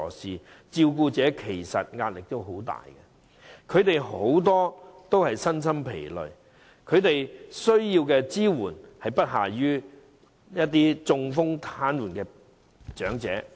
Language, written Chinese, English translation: Cantonese, 事實上，照顧者面對很大壓力，他們很多都身心疲累，而他們需要的支援實在不下於那些中風癱瘓的長者。, In fact carers are under tremendous pressure and exhausted physically and emotionally . Their need for support is comparable to that of paralysed elderly patients suffering from stroke